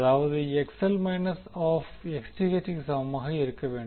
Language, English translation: Tamil, That is XL should be equal to minus of Xth